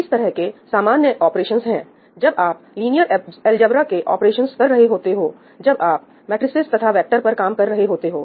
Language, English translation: Hindi, So, one common, I mean a lot of common operations is when you are doing linear algebra operations , when you are working on matrices and vectors, right